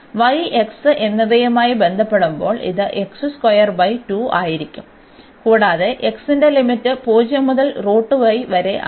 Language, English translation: Malayalam, So, y and with respect to x when we integrate x this will be x square by 2, and we have to put the limits for x 0 to square root y